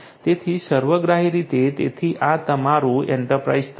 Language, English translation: Gujarati, So, holistically so this is your enterprise level